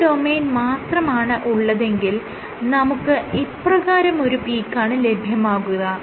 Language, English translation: Malayalam, So, for a single domain let say you have a peak like this